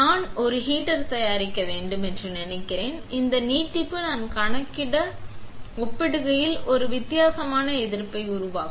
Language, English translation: Tamil, Suppose I fabricate a heater, then this extension will create a different resistance compared to what I have calculated